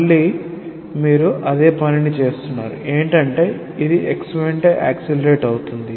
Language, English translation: Telugu, Again, you are doing the same thing accelerating it along x